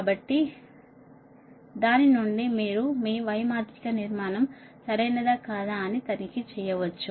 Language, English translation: Telugu, so from that you can check out whether your y matrix are construction is correct or not right